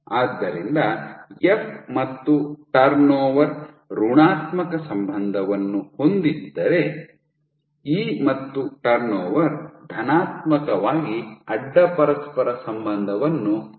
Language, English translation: Kannada, So, F and turn over are negatively correlated while E and turn over are positively correlated